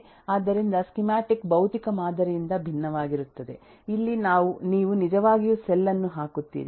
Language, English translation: Kannada, So, the schematic is different from the physical model where you will actually put the cell